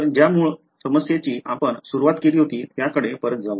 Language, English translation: Marathi, So, let us go back to the very original problem that we started with further for